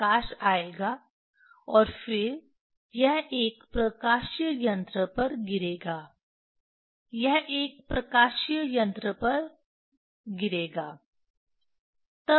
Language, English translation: Hindi, Light will come, and then it will fall on a optical device, it will fall on a optical device